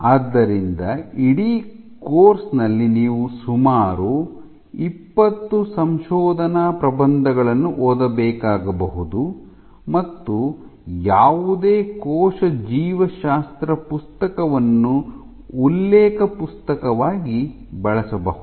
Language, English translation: Kannada, So, over the course over the entire course you will probably read order 20 research papers and any cell biology book, can serve as a reference